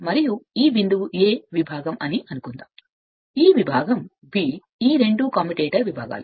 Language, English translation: Telugu, And here suppose this point is A this segment, this segment is B these two are the commutator segments